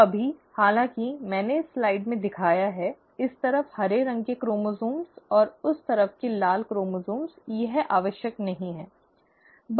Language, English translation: Hindi, So right now, though I have shown in this slide, green chromosomes on this side and the red chromosomes on that side, it is not necessary